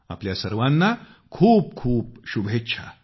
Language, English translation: Marathi, My best wishes to all of you